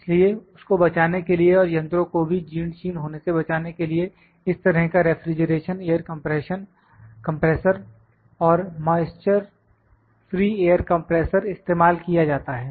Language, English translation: Hindi, So, to save that and also to save the machines from being corroded this kind of refrigeration air compressor and moisture free air compressor is used